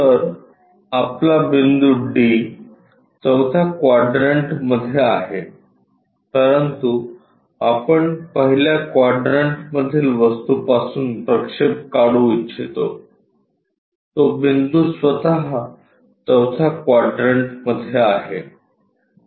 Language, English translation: Marathi, So, your point D is at fourth quadrant though we would like to draw projections from the first quadrant thing, but the point itself is in the fourth quadrant